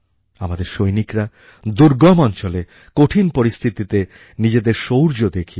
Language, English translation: Bengali, Our soldiers have displayed great valour in difficult areas and adverse conditions